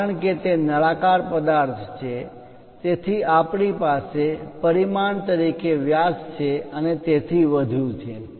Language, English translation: Gujarati, Because it is a cylindrical object that is a reason diameters and so on